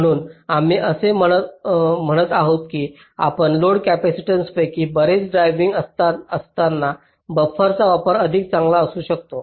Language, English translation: Marathi, ok, so we are saying that the use of buffer can be better in cases where your driving some of the load capacitance is very large